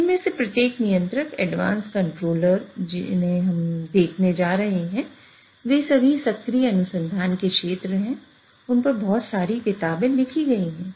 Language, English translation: Hindi, Each of these control, the advanced controllers which we are going to be looking, they are all areas of active research, a lot of books are written on them